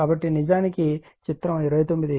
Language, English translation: Telugu, So, it is actually figure 29